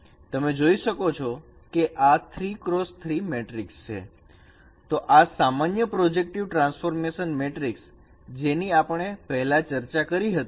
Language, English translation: Gujarati, So this is a representation of any general projective transformation matrix that we have already discussed